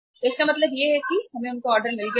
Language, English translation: Hindi, So it means now we have got them order